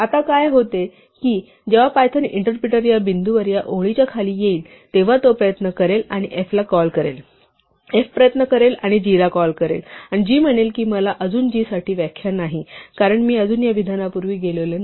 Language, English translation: Marathi, Now what happens is that when the Python interpreter comes down this line at this point it will try and call f, so f will try and call g and g will say well I do not have a definition for g yet because I am not yet gone past this statement